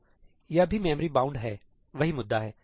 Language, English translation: Hindi, So, this is also memory bound same issue